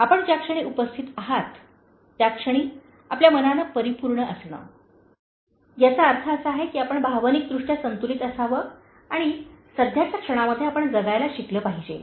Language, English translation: Marathi, Being full of your mind at the moment where you are present, this means you should be emotionally balanced, and you should learn to live in the present moment